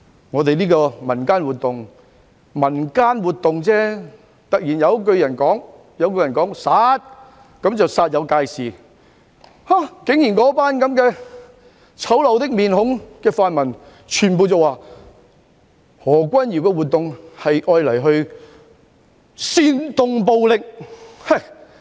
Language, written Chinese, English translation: Cantonese, 我們舉辦一項民間活動——只是民間活動——但突然有一個人說了一聲"殺"，那群面孔醜陋的泛民便煞有介事，竟然全部人說何君堯的活動是為了煽動暴力。, We organized a community event―a purely community event―and then someone shouted kill those ugly pan - democrats immediately pointed all their fingers at Junius HO saying that the event was organized to incite violence